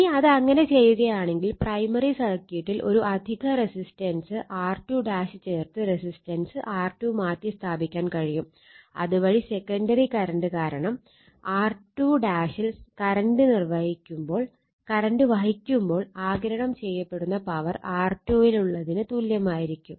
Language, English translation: Malayalam, Now, if you do so, if you do so, resistance R 2 can be replaced by inserting an additional resistance R 2 dash in the primary circuit such that the power absorbed in R 2 dash when carrying current your is equal to that in R 2 due to the secondary current, right